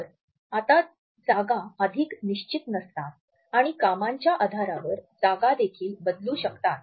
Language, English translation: Marathi, So, the space is no more fixed and the workstations may also change on the basis of the activities